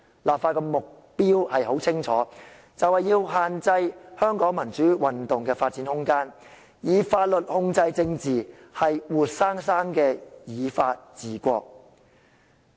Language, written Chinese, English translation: Cantonese, 立法的目標很清楚，便是要限制香港民主運動的發展空間，以法律控制政治，是活生生的"以法治國"。, The purpose of legislation is very clear that is to limit the room of development of the democratic movement in Hong Kong by using laws to control politics . It is truly a live practice of rule by law